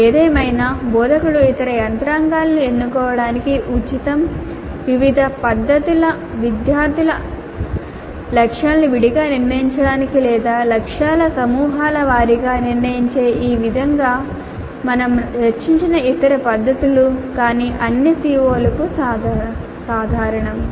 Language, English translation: Telugu, However, instructor is free to choose the other mechanisms, other methods which we discuss like this way of setting the targets for different groups of students separately or setting the targets group wise but common to all COs